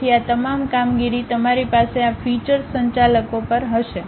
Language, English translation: Gujarati, So, all these operations you will have it at these feature managers